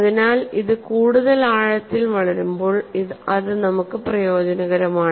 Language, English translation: Malayalam, So, when it grows deeper, it is beneficial for us